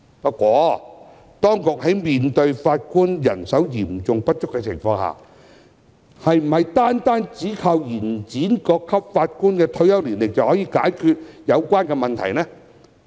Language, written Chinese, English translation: Cantonese, 不過，面對法官人手嚴重不足的情況，當局是否單靠延展各級法院法官的退休年齡，便可解決有關問題呢？, However given the manpower shortage of Judges can the authorities solve the problem solely by extending the retirement age for Judges at various levels of court?